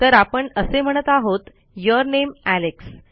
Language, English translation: Marathi, So, were basically saying your name Alex